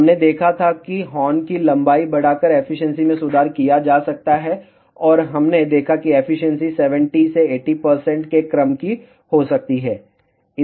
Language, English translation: Hindi, We had seen that efficiency can be improved by increasing the horn length, and we saw that efficiency can be of the order of 70 to 80 percent